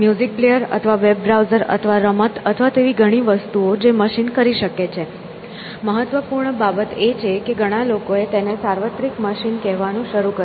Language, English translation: Gujarati, As a music player or a web browser or a game or any of these many things that a machine can do; so the important thing is that many people have called starting with tuning is there is a universal machine